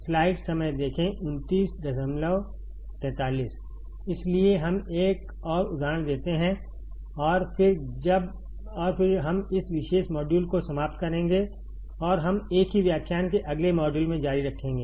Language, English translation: Hindi, So, let us do one more example and then, we will finish this particular module and we continue in a next module of the same lecture